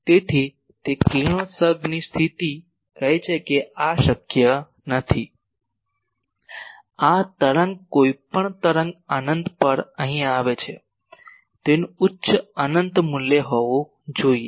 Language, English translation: Gujarati, So, that radiation condition says that this is not possible, this wave any wave coming here at infinite it should have high infinite value